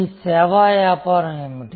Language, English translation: Telugu, What is your service business